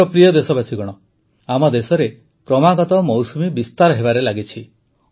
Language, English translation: Odia, My dear countrymen, monsoon is continuously progressing in our country